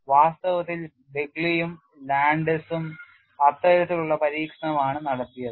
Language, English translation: Malayalam, In fact, Begley and Landes did that kind of experiment